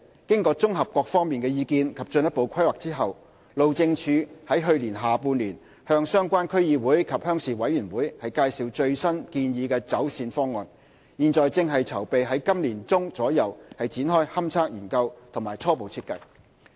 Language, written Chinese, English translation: Cantonese, 經綜合各方意見及進一步規劃後，路政署於去年下半年向相關區議會及鄉事委員會介紹最新建議走線方案，現正籌備於今年年中左右展開勘測研究及初步設計。, Having considered the comments of various parties and upon further planning HyD consulted the relevant District Councils and Rural Committee in the latter half of last year on the latest proposed alignment and is making preparation for the investigation study and the preliminary design which is targeted for commencement by mid - year